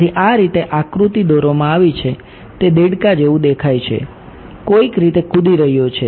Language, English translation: Gujarati, So, this the way the diagram has been drawn it looks like a frog that is leaping in some sense right